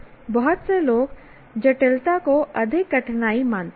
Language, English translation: Hindi, Many people consider complexity is more difficulty